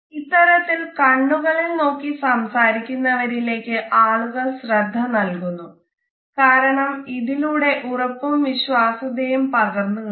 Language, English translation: Malayalam, People are automatically drawn towards people who have a positive eye contact because it conveys self assurance and confidence